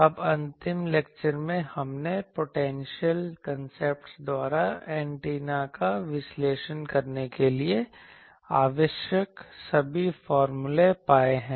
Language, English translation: Hindi, Now in the last lecture, we have found all the formulas required to analyze the antenna by the potential concepts